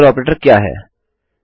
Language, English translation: Hindi, What is a logical operator